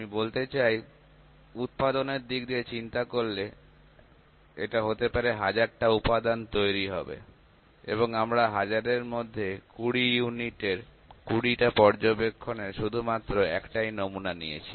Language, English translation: Bengali, And the overall let me say in a manufacturing concerned that be that might be manufacturing 1000s of components and we have picked one sample in one sample of 20 observation of 20 units out of the 1000 let me say